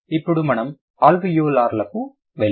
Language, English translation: Telugu, Then we are going to the alveolar sounds